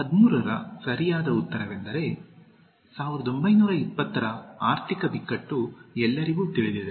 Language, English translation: Kannada, The correct answer for 13 is, The economic crisis of the 1920’s is well known